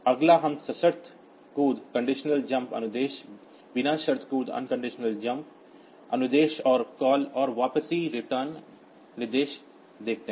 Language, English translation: Hindi, unconditional jump instruction, then the conditional jump instruction, and call and return instructions